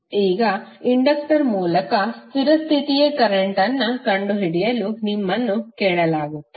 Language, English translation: Kannada, If you are asked to find the steady state current through inductor